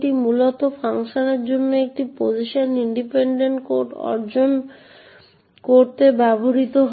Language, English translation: Bengali, So, PLT is essentially used to achieve a Position Independent Code for functions